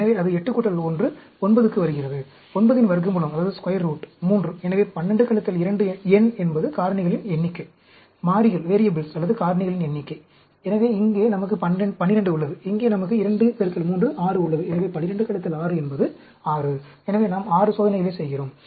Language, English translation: Tamil, So, that comes to 8 plus 1, 9; square root of 9 is 3; so, 12 minus 2, n is the number of factors, number of variables or factors; the… So, here we have a 12, and here we have 2 into 3, 6; so, 12 minus 6 is 6; so, we are doing 6 experiments